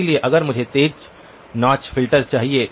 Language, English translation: Hindi, So if I want a sharp notch filter